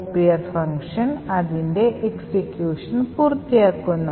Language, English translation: Malayalam, Therefore, after the copier completes its execution